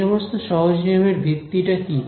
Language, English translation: Bengali, So, what is the basis of these simple rules